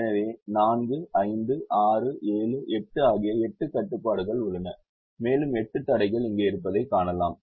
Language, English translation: Tamil, so there are eight constrains: four, five, six, seven, eight, and you can see that there are eight constrains here